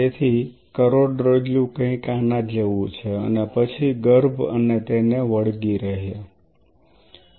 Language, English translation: Gujarati, So, the spinal cord is something like this and then embryonic and as well as in adhered